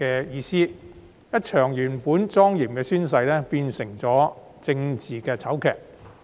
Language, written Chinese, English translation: Cantonese, 一場原本莊嚴的宣誓，最終變成政治醜劇。, A solemn oath of office was eventually turned into a political farce